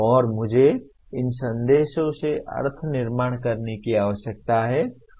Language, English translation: Hindi, And I need to construct meaning from these messages